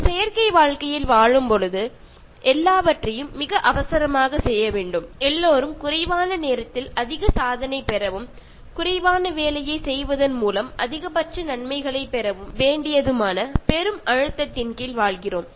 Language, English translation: Tamil, And when we live in artificial life, everything has to be done in great hurry and everybody lives under enormous pressure to achieve more in less time and for getting maximum benefit by doing minimum work